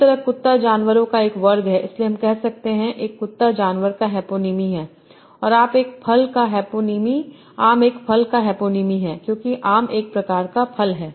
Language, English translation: Hindi, And mango is a hypoenaume of fruit because mango is a type of animal, so we say dog is a hyponym of animal and mango is a hyponym of fruit because mango is a type of fruit